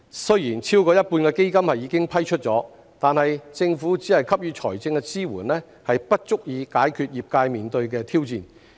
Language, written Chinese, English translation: Cantonese, 雖然超過一半的基金已經批出，但政府只給予財政支援並不足以解決業界面對的挑戰。, Although more than half of the Fund has been paid out the mere provision of financial assistance by the Government is not sufficient to overcome the challenges faced by the industry